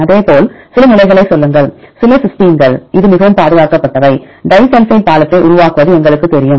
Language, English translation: Tamil, Likewise say some positions for example, some cysteine this very highly conserved, we know that forming disulfide bridge